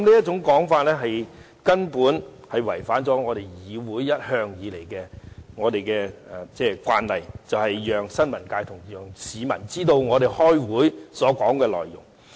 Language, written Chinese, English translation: Cantonese, 這做法違反了議會一向的慣例，便是讓新聞界、市民知道立法會會議的討論內容。, Such a motion constitutes a breach of the tradition of this Council to allow members of the press and of the public to learn about the discussions at the Legislative Council meetings